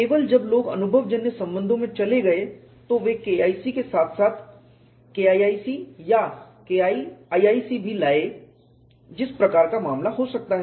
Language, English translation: Hindi, Only when people went into empirical relations they also brought in K1c as well as K 1c or K 3c as the case may be